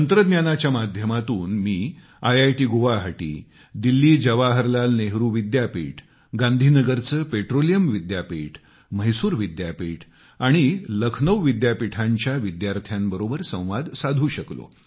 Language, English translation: Marathi, Through technology I was able to connect with students of IIT Guwahati, IITDelhi, Deendayal Petroleum University of Gandhinagar, JNU of Delhi, Mysore University and Lucknow University